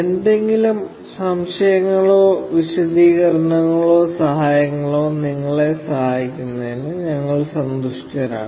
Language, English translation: Malayalam, We will be happy to assist you with any doubts or clarification or help